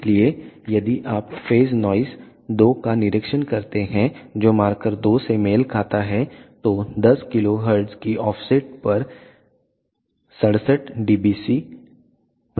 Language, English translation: Hindi, So, if you observe phase noise to which corresponds to market two is around 67 dBc per hertz at an offset of 10 kilo hertz